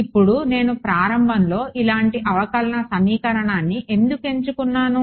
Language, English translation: Telugu, Now why I have chosen the differential equation like this to start off with